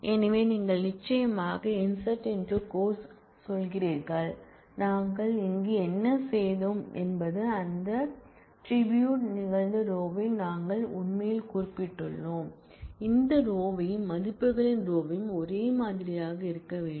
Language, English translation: Tamil, So, you are saying insert into course and what we have done here is we have actually specified the order in which that tributes occurred and that order and the order of values must be the same